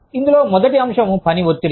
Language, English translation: Telugu, The first topic in this, is work stress